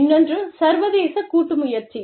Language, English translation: Tamil, So, that is an international joint venture